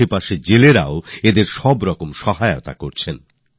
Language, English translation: Bengali, Local fishermen have also started to help them by all means